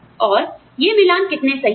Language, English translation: Hindi, And, how accurate, these matches are